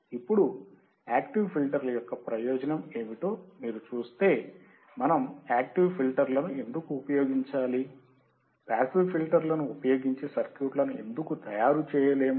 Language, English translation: Telugu, Now, if you see what are the advantage of active filters, why we have to use active filters, why we have to use active filters, why we cannot generate the circuits using passive filters